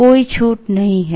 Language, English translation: Hindi, There is no discount